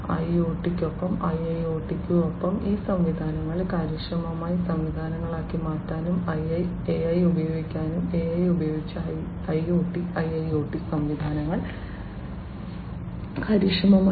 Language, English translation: Malayalam, AI can be used in along with IoT, along with IIoT and also to transform these systems into efficient systems; IoT systems and IIoT systems efficient using AI